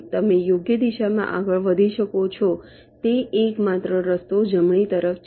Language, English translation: Gujarati, the only way in which you can move in the right direction is towards right